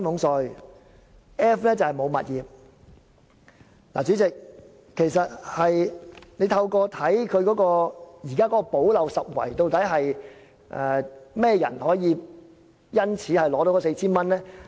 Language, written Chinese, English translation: Cantonese, 代理主席，其實透過政府的"補漏拾遺"方案，究竟甚麼人可以受惠，取得該 4,000 元？, Deputy Chairman through the remedial measures under the Governments Scheme who actually can be benefited and receive the 4,000?